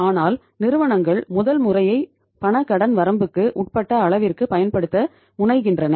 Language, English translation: Tamil, But firms say tend to use the first mod to the extent possible that is under the cash credit limit